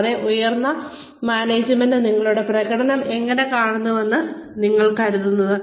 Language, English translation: Malayalam, And, how do you think, higher management sees your performance